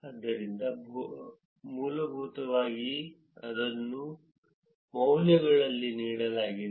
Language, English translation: Kannada, So, essentially that is what is been given in the values